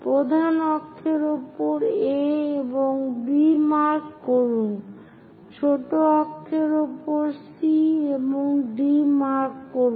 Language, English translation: Bengali, On major axis, the letter is A and B; on minor axis, the letters are C and D